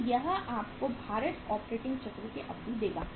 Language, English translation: Hindi, So this will give you the duration of the weighted operating cycle